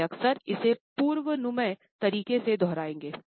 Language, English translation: Hindi, They shall often repeat it in a predictable manner